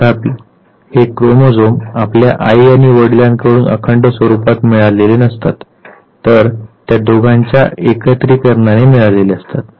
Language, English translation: Marathi, However, this chromosome is not the intact one that you inherited from the mother and the father rather it is a combination of the two